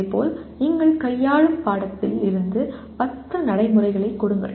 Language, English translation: Tamil, Similarly, give 10 procedures from the course that you are dealing with